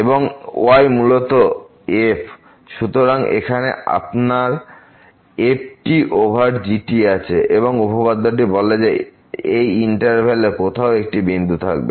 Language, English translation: Bengali, And, this is basically the , so, here you have the over and this theorem says that there will be a point somewhere in the interval